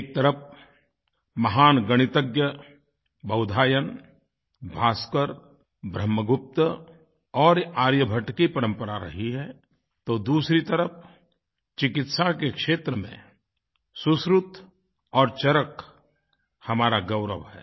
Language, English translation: Hindi, On the one hand, there has been a tradition of great Mathematicians like Bodhayan, Bhaskar, Brahmagupt and Aryabhatt; on the other, in the field of medicine, Sushrut & Charak have bestowed upon us a place of pride